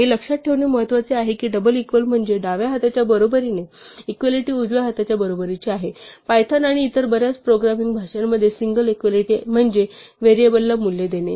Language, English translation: Marathi, So, it is important to remember this that double equal to means equality as in the left hand side is equal to the right hand side, whereas the single equality in Python and many other programming languages means assign a value to a variable